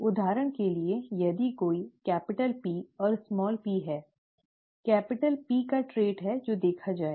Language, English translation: Hindi, For example, if there is a capital P and a small p, the trait of capital P is what would be seen